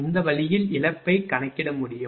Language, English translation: Tamil, This way loss can be computed